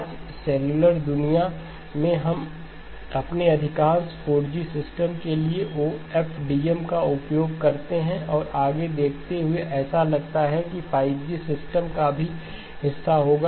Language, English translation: Hindi, Today in the cellular world, we use OFDM for most of our 4G systems and looking ahead it looks like it will be part of the 5G systems as well